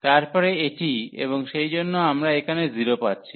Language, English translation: Bengali, Then this one, and therefore we are getting this 0 there